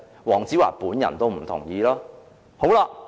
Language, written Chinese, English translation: Cantonese, 黃子華本人也不同意。, Even Dayo WONG himself does not agree with it